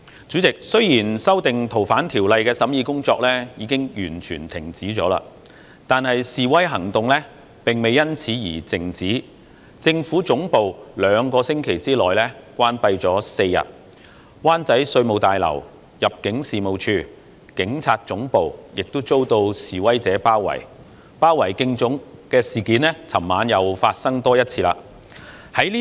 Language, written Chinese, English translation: Cantonese, 主席，雖然修訂《逃犯條例》的審議工作已經完全停止，但示威行動並未因此而靜止，政府總部兩星期內關閉了4天，灣仔稅務大樓、入境事務大樓及警察總部亦遭示威者包圍，昨晚又發生多一次包圍警察總部的事件。, President although the scrutiny work on the amendments to the Fugitive Offenders Ordinance FOO has completely stopped the demonstrations did not thus end . The Central Government Offices were closed for four days within two weeks . The Revenue Tower Immigration Tower and the Police Headquarters in Wan Chai were also besieged by protesters